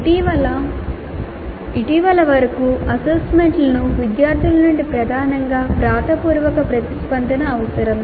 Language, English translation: Telugu, Assessment until recently required dominantly written responses from the students